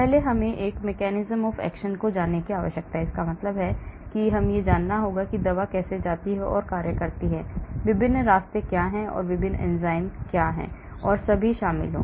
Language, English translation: Hindi, First I need to know the mechanism of action, that means, I need to know how the drug goes and acts, what are the various pathways, what are the various enzymes involved and all